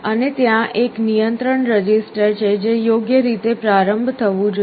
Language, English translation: Gujarati, And there is a control register that has to be initialized appropriately